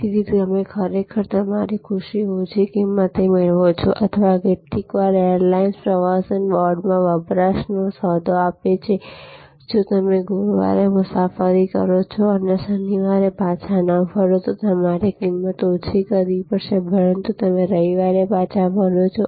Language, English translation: Gujarati, So, you actually get your happiness at a lower price or sometimes airlines give a deal in consumption in the tourism board, that the, you will have to lower price if you travel on Thursday and do not return on Saturday, but you return on Sunday or you return on Monday